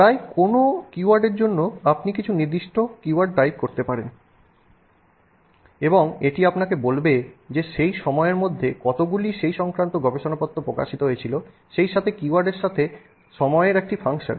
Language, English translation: Bengali, For almost any keyword you can type in some specific keywords and will tell you how many papers were published in that area with that as one of the keywords as a function of time